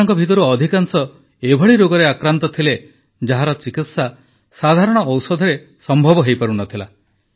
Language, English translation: Odia, And most of these beneficiaries were suffering from diseases which could not be treated with standard medicines